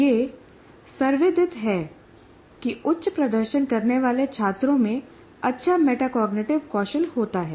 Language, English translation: Hindi, And it is quite known, high performing students have better metacognitive skills